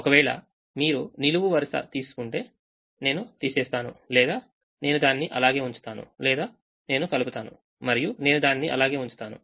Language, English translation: Telugu, if you take a column, i either subtract or i keep the same, or i add and or and i keep it the same